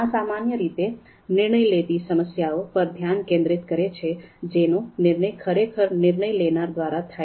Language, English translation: Gujarati, So this typically focuses on DM problems, decision making problems that are actually solved by decision makers